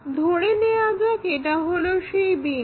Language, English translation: Bengali, So, this will be the a point